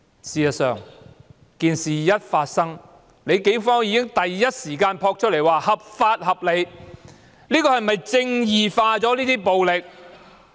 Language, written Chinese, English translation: Cantonese, 事實上，事件發生後，警方已即時發出聲明，指出這種做法合法合理，這是否"正義化"這種暴力？, In fact immediately after the incident the Police issued a statement stating that the practice was lawful and reasonable . Is this statement justifying such violence?